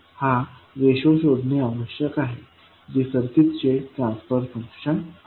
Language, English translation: Marathi, That would be the transfer function for the circuit